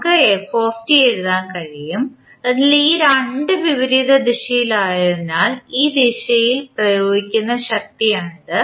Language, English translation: Malayalam, We can write f t, so that is the force which is applying in this direction since these two are in the opposite direction